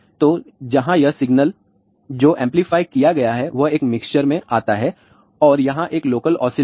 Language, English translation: Hindi, So, where this signal which has been amplified comes to a mixer and there is a local oscillator